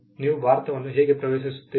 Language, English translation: Kannada, How do you enter India